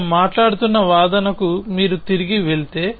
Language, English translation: Telugu, So, if you go back to the argument that we were talking about